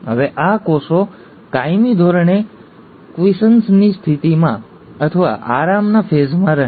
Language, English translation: Gujarati, Now these cells perpetually stay in a state of quiescence, or a resting phase